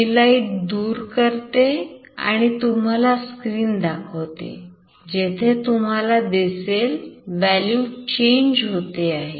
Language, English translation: Marathi, I will take away the light and I will show you the screen, where the value changes now you see